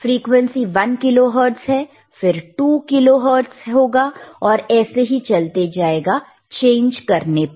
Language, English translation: Hindi, The frequency is how much is one kilohertz, 2 kilohertz and so on and so forth, you can change it